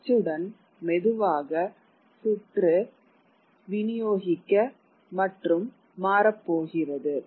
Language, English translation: Tamil, And with print slowly the circuit is going to distribute and change and alter